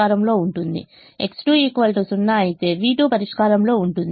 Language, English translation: Telugu, x one is in the solution